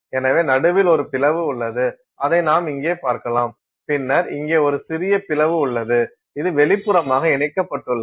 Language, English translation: Tamil, So, there is an opening in the middle which you can see here, then there is a small opening here which is connected externally